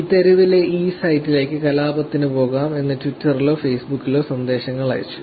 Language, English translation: Malayalam, So, the messages were sent on Twitter or Facebook saying that lets go to this site in this street